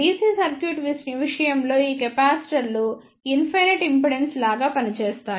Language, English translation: Telugu, In case of DC circuit these capacitors will act like a infinite impedance